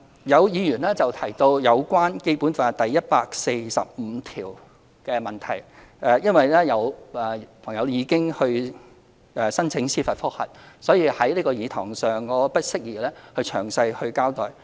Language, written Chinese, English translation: Cantonese, 有議員提到有關《基本法》第一百四十五條的問題，因為有市民可能申請司法覆核，所以在這個議事堂我不宜詳細交代。, Some Members mentioned the issue of Article 145 of the Basic Law . Since certain members of the public may apply for judicial review it is inappropriate for me to give a detailed account here in this Chamber